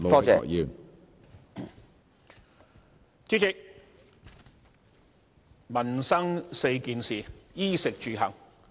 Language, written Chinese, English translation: Cantonese, 主席，民生4件事是衣、食、住、行。, President the four necessities in daily living are clothing food housing and transport